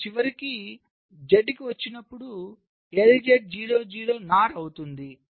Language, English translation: Telugu, and finally, when you come to z, l z will be zero